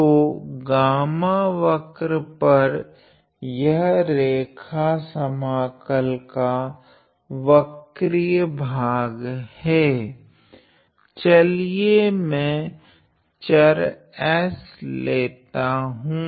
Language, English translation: Hindi, So, on the curve gamma this is a curved part of the line integral let me just say that my variable s